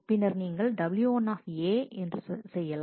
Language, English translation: Tamil, And then you do w 1 A